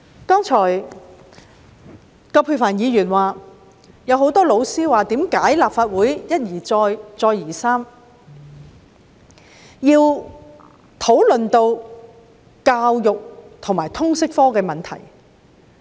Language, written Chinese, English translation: Cantonese, 葛珮帆議員剛才說很多教師也問，為何立法會一而再，再而三地討論通識教育科的問題。, As remarked by Ms Elizabeth QUAT just now many teachers questioned why the Legislative Council has time and time again discussed the problems of the subject of Liberal Studies LS